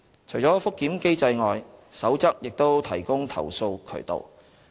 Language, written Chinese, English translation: Cantonese, 除覆檢機制外，《守則》亦提供投訴渠道。, Apart from the review mechanism the Code also provides a complaint channel